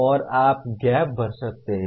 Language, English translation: Hindi, And you can fill the gap